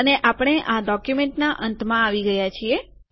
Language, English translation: Gujarati, And we have come to the end of this document